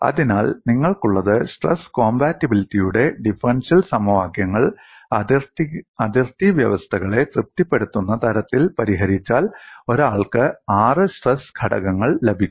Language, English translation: Malayalam, So, what you have is if the differentially equations of stress compatibility are solved such that they satisfy the boundary conditions, then one gets six stress components